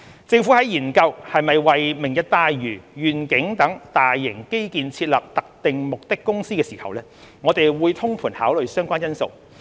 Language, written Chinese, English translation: Cantonese, 政府在研究是否為"明日大嶼願景"等大型基建設立特定目的公司時，會通盤考慮相關因素。, In considering whether a SPV should be set up for taking forward major infrastructure projects such as the Lantau Tomorrow Vision the Government will holistically consider relevant factors